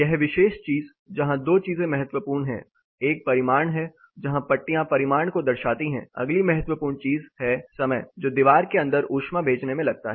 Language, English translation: Hindi, This particular thing, where 2 things are important; one is a magnitude where the bars indicate the magnitude, the next important thing is the time which takes for the wall to conduct it inside